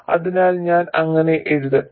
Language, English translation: Malayalam, So, let me write it like that